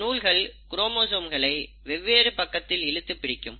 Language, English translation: Tamil, These are literally like threads, which are pulling the chromosomes apart